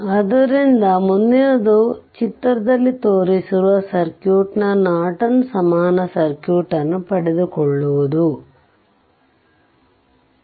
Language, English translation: Kannada, So, next one is ah so obtain the Norton equivalent circuit of the circuit shown in figure 69